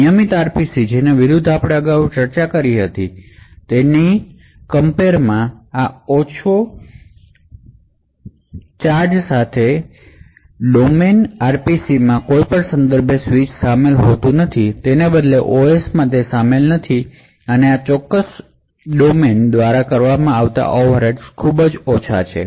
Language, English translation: Gujarati, So, unlike the regular RPCs which we discussed previously this low cost fault domain RPC does not involve any context switch rather the OS is not involved at all and therefore the overheads incurred by this particular fault domain is extremely less